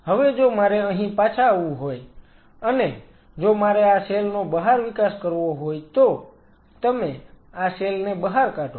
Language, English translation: Gujarati, Now if I have to coming back here if I have to grow these cells outside